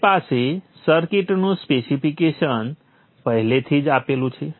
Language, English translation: Gujarati, You have the specification of the circuit written first